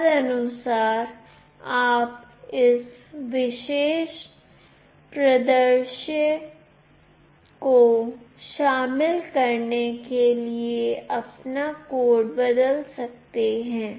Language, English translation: Hindi, Accordingly, you can change your code to incorporate this particular scenario